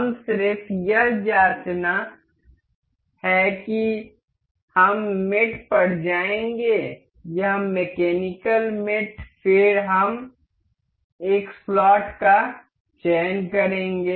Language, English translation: Hindi, Let us just check this we will go to mate, this mechanical mate then this we will select slot